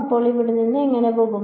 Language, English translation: Malayalam, So how will it go from here to here